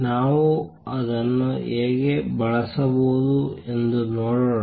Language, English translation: Kannada, Let us see how we can use that